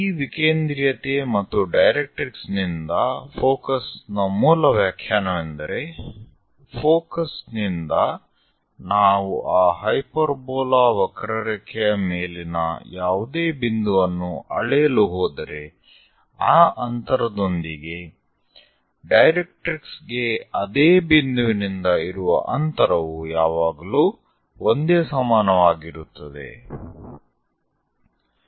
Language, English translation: Kannada, The basic definition of this eccentricity and focus from the directrix is, from focus if we are going to measure any point on that curve hyperbola that distance to the distance of that point to the directrix always be equal to the same number